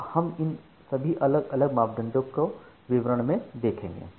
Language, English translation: Hindi, Now, we will look into all these individual parameters in little details so